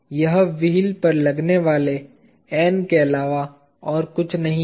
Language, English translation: Hindi, This is nothing but the N acting from the wheel